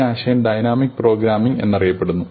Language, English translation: Malayalam, So, this is covered by the concept of dynamic programming